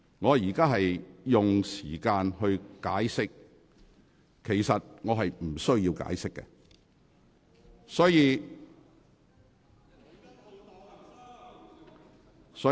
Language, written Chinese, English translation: Cantonese, 我正在作出解釋，其實我是無須解釋的。, I am trying to give an explanation but in fact I am not obliged to explain